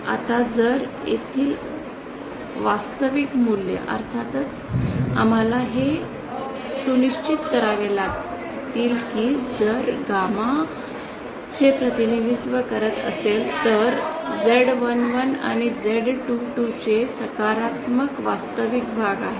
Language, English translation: Marathi, Now if the real values here of course we have to ensure that the this Z say your if gamma represents said then Z11 and Z22 have positive real parts